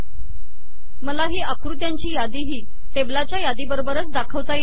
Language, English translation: Marathi, I can also make this list of figures appear along with the list of tables